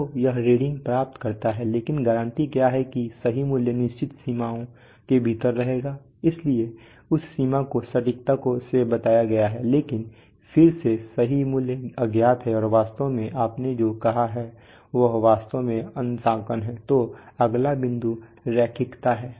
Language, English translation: Hindi, So it gets the reading but within what is the guarantee that the true value will be staying within certain limits, so that limit is stated by accuracy, but then again the true value is unknowable and it is actually what you stated is that with respect to the calibration, so then the next point is linearity